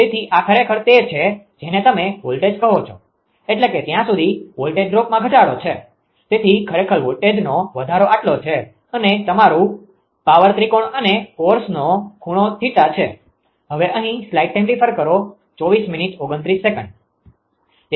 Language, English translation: Gujarati, So, this is actually your what you call that your that is that voltage I mean as far as voltage drop deduction is there, so this much actually is the voltage rise right and this is your power triangle and angle of course, is theta right